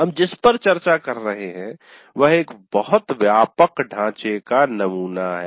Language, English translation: Hindi, So what we are discussing is a very broad sample framework